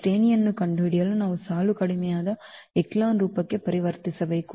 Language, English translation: Kannada, For finding the rank we have to convert to the row reduced echelon form